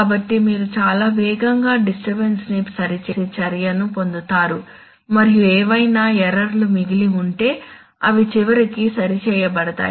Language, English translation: Telugu, So you will get lot of disturbance correcting action very fast and whatever errors will remain they will eventually will also be corrected